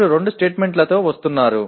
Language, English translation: Telugu, You are coming with two statements